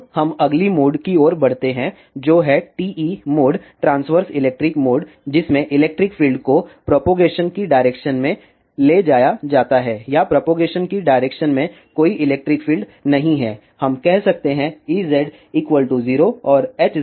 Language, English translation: Hindi, Now, let us move on to the next mode which is TE mode transverse electric mode in which the electric field is transverse to the direction of propagation or there is no electric field in the direction of propagation or we can say E z is equal to 0 and H z is not equal to 0